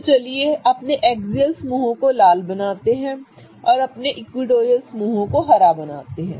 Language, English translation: Hindi, So let's make our axial groups as red and let's make all our equatorial groups as green